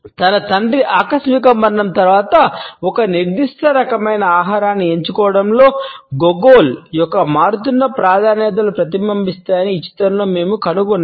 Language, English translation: Telugu, In this movie we find that Gogol’s changing preferences are reflected in his opting for a particular type of a food after the sudden death of his father